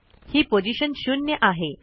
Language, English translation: Marathi, At the moment, position is equal to 0